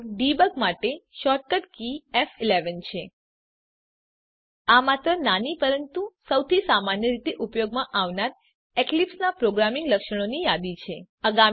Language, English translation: Gujarati, So the shortcut key for Debug is F11 This is just a small but most commonly used list of the programming features of Eclipse